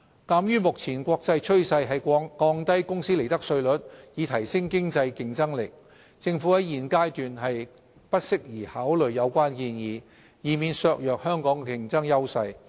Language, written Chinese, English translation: Cantonese, 鑒於目前國際趨勢是降低公司利得稅率以提升經濟競爭力，政府在現階段不適宜考慮有關建議，以免削弱香港的競爭優勢。, In view of the international trend of reducing corporate tax rates to enhance economic competitiveness it may not be appropriate at this stage for the Government to consider the suggestion lest Hong Kongs competitive edge should be eroded